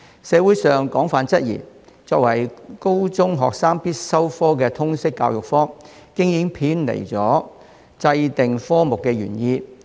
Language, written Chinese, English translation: Cantonese, 社會上廣泛質疑，作為高中學生必修科的通識教育科，已經偏離制訂科目的原意。, There are widespread doubts in society that the Liberal Studies LS subject a compulsory subject for senior secondary students has deviated from the original intent of its introduction